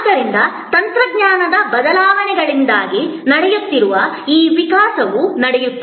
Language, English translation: Kannada, So, this evolution that is taking place is taking place due to technology changes